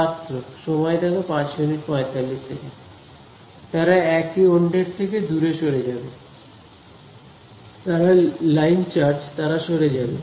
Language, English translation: Bengali, They will move away from each other, they are line charges they will move away